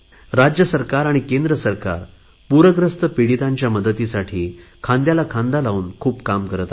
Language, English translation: Marathi, Central government and State Governments are working hand in hand with their utmost efforts to provide relief and assistance to the floodaffected